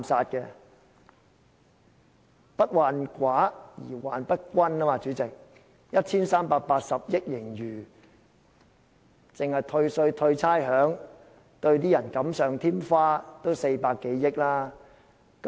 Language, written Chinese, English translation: Cantonese, 主席，所謂"不患寡而患不均"，香港政府有 1,380 億元盈餘，單是退稅、退差餉、對一些人士"錦上添花"也使用了400多億元。, President the problem is not with scarcity but with uneven distribution . The Hong Kong Government is sitting on a surplus of 138 billion and more than 40 billion have been spent on tax and rates refunds for those who are blessed with wealth